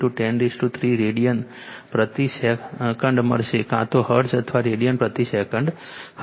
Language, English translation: Gujarati, 5 into 10 to the power 3 radian per second either you have hertz or radian per second right